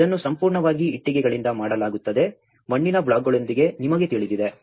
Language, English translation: Kannada, This is completely done with the bricks, you know with the mud blocks